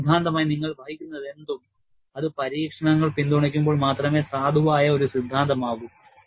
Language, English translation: Malayalam, And whatever you conjecture as theory, it would be a valid theory, only when it is supported by experiments